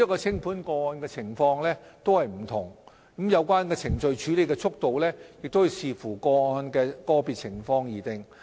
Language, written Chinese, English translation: Cantonese, 清盤個案的情況各有不同，有關程序的處理速度須視乎個案的個別情況而定。, The circumstances of liquidation vary from one case to another . The processing speed must depend on the individual circumstances of cases